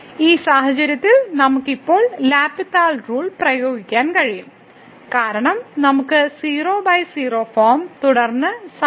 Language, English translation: Malayalam, And in this case we can apply again a L’Hospital rule because this is 0 by 0 form and then we have limit here